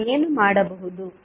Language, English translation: Kannada, What we can do